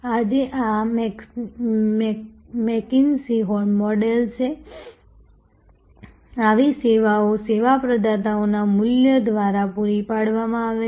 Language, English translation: Gujarati, Today, this is the mckinsey model such services are provided by a constellation of service providers